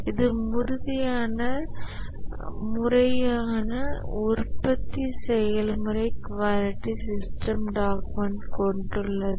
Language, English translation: Tamil, It has proper production process, quality system documented